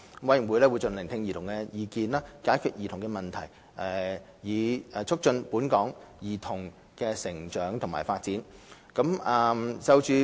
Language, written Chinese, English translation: Cantonese, 委員會會盡量聆聽兒童的意見，解決兒童的問題，以促進本港兒童的成長及發展。, The Commission will also strive to listen to childrens views and address childrens issues to promote childrens growth and development in Hong Kong